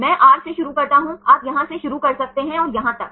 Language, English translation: Hindi, I start from R right you can start from here and up to here this